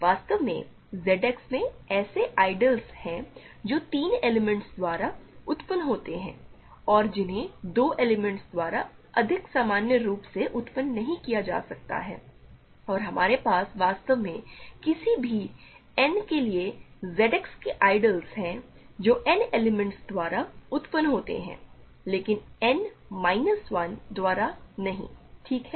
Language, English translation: Hindi, In fact, there are ideals in Z X that are generated by three elements and that cannot be generated by 2 elements in more generally and we have in fact, for any n there are ideals of Z X that are generated by n elements, but not by n minus 1 elements ok